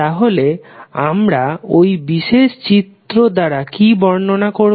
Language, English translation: Bengali, So, what we represent by these particular sign conventions